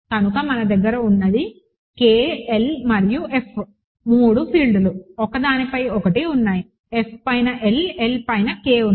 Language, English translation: Telugu, So, what we have is K, L and F, 3 fields; one sitting on top of the other, K sitting on top of L, L sitting on top of F